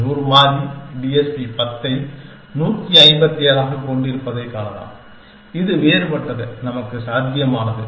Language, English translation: Tamil, And we can see that, the 100 variable TSP has about 10 is to 157 possible different, possible to us